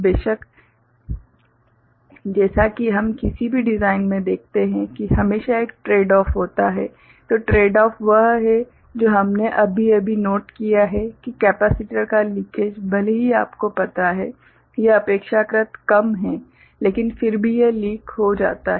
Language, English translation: Hindi, Of course, as we see in any design there is always a tradeoff, the tradeoff is that what we just noted that the capacitance though the leakage is you know, these can be relatively small, but still it leaks